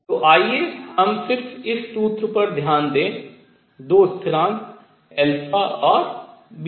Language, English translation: Hindi, So, let us just focus on this formula, two constants alpha and beta